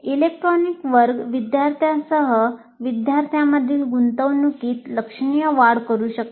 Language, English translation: Marathi, Electronic classroom can significantly enhance the engagement of the students with the material